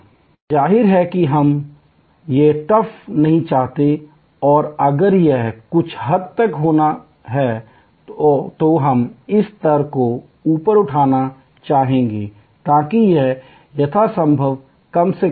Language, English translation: Hindi, And obviously, we do not want this, the trough and we even if it has to be there to some extent, we would like to raise this level, so that it is as minimal as possible